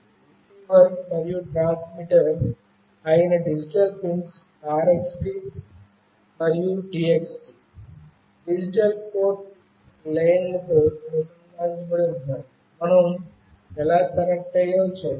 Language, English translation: Telugu, The digital pins RXD and TXD, that is the receiver and transmitter, are connected to the digital port lines, we will see that how we have connected